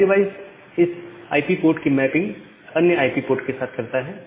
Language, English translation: Hindi, NAT device makes a mapping of this IP port to another IP port